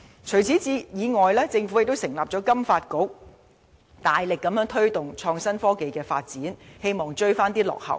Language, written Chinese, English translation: Cantonese, 此外，政府亦成立香港金融發展局，大力推動創新科技發展，希望追回落後進度。, Moreover the Government has set up the Financial Services Development Council FSDC and strive to promote development of innovation and technology in a bid to make up for the lost time